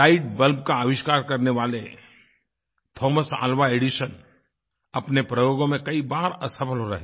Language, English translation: Hindi, Thomas Alva Edison, the inventor of the light bulb, failed many a time in his experiments